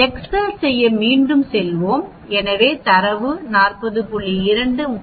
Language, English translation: Tamil, Let us go back to excel, so the data is 40